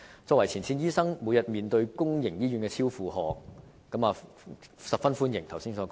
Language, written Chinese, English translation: Cantonese, 作為前線醫生，每天面對公營醫院超出負荷，所以十分歡迎剛才所說的措施。, As a frontline doctor I face the situation of public hospitals being overloaded every day . Therefore I very much welcome the measures that I mentioned just now